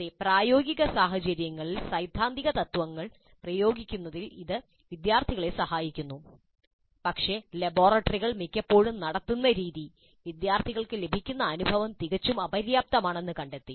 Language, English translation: Malayalam, Yes, it does help the students in practicing in applying the theoretical principles to practical scenarios, but the way the laboratories are conducted, most often the kind of experience that the students get is found to be quite inadequate